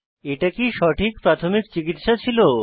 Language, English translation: Bengali, Was it the right first aid